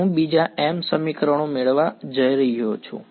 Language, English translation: Gujarati, I am going to get another m equations